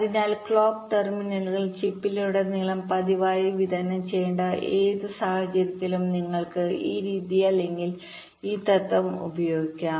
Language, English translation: Malayalam, so, in any scenario where you need the clock terminals to be distributed regularly across the chip, you can use this method or this principle